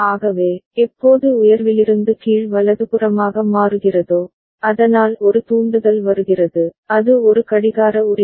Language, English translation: Tamil, So, whenever A changes from high to low right, so a trigger comes that is something as a clock right